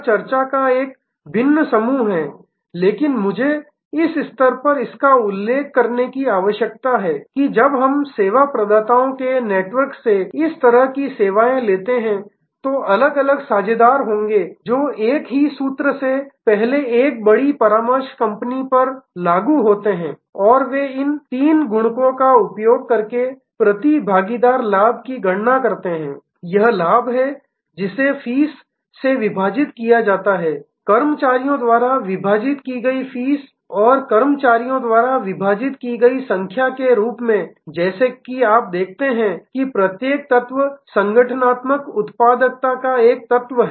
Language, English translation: Hindi, This is a different set of discussion, but I need to mention it at this stage, that when we take this kind of services from a network of service providers there will be different partners the same formula earlier applied to a large consulting company and they would have calculated the profit per partner using these three multiples; that is profit divided by fees, fees divided by staff and staff divided by number of partners as you see each element is a element of organizational productivity